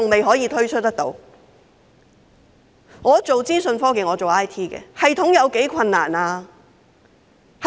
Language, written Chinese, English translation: Cantonese, 我從事資訊科技，設立系統有多困難呢？, I am engaged in information technology ie . IT . How difficult is it to set up a system?